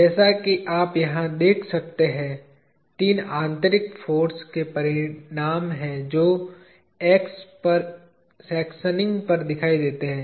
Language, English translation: Hindi, As you can see here, there are three internal force resultants that appear upon sectioning at X